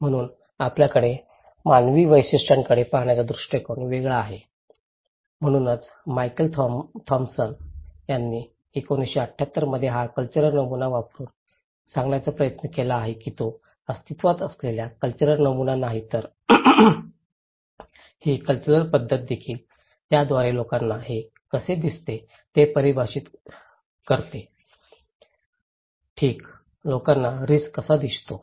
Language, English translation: Marathi, So, because we have different perspective of human features so, Michael Thomson in 1978 and he was trying to say using this cultural pattern that it is not the cultural pattern that exists and also this cultural pattern actually, through it defines that how people see the risk okay, how people see the risk